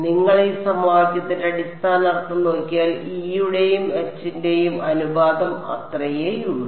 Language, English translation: Malayalam, if you look at the basic meaning of this equation is that the ratio of E to H should be eta that is all